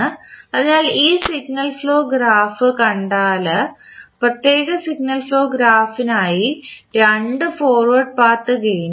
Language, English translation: Malayalam, So, if you see this particular signal flow graph there are 2 forward Path gains for the particular signal flow graph